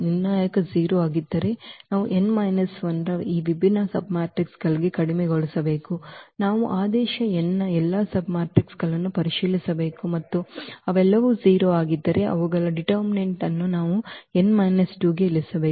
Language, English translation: Kannada, If the determinant is 0 then we have to reduce to this different submatrices of order n minus 1 we have to check all the submatrices of order n and their determinant if they all are 0 then we have to reduce to n minus 2, so on